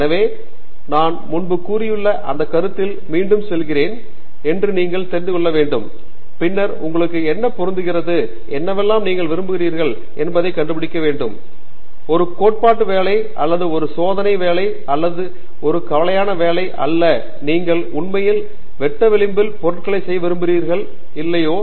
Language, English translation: Tamil, So, I think it goes back again to the same point that we have mentioned earlier you need to introspect a bit in and then figure out what suits you, what you are interested in; whether a theoretical work or an experimental work or a mixed work and so on or you want to do really the cutting edge stuff and so on